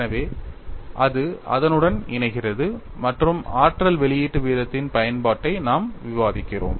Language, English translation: Tamil, So, it tally’s with that and we discuss the utility of energy release rate